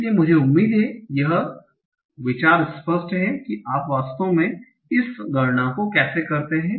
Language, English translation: Hindi, But I hope the idea is clear that how do you actually do this computation